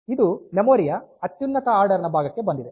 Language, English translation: Kannada, So, it has come to the highest order portion of the memory